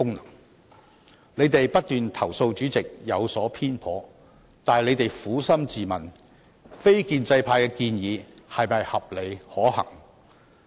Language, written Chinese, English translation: Cantonese, 反對派議員不斷投訴主席有所偏頗，但請他們撫心自問，非建制派的建議是否合理可行？, Opposition Members kept complaining that the President was biased but then I would like them to ask themselves one question Are the proposals from the non - establishment camp reasonable and feasible?